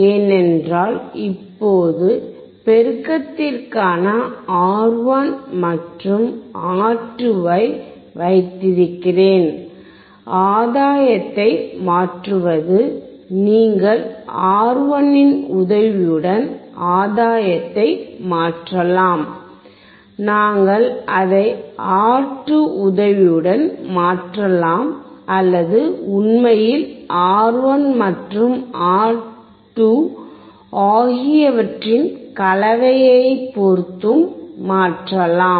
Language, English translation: Tamil, Because now I have R1 and R2 in the for the amplification, for the changing of the gain, you can change the gain with the help of R1, we can change the gain with the help of R2 or actually in combination of R1 and R2